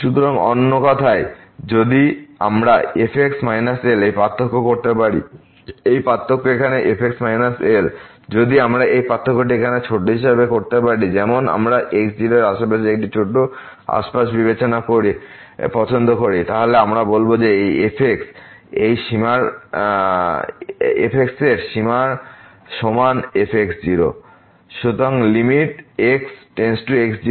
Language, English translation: Bengali, So, in other words, if we can make the difference this minus , this difference here minus ; if we can make this difference as a small, as we like by considering a small neighborhood around this naught, then we say that this is equal to the limit of this ; is goes to naught is